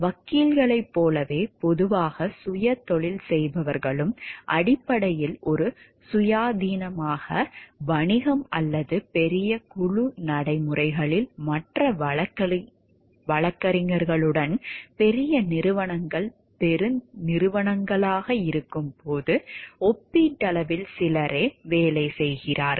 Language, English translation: Tamil, Like lawyers and are generally self employed essentially an independent business, or in a large group practices with other lawyers, relatively few are employed when large organizations are as corporations